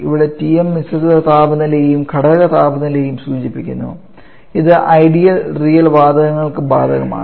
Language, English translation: Malayalam, Where Tm refers to the mixture temperature and also the component temperatures and this is applicable for both ideal and real gases